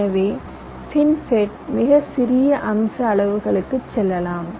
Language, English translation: Tamil, so fin fet can go down to much small of feature sizes